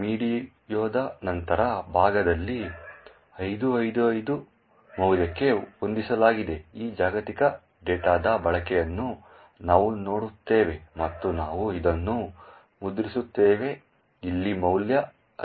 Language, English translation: Kannada, In a later part of the video we will see the use of this global data which is set to a value of 5555 and we print this value of 5555 over here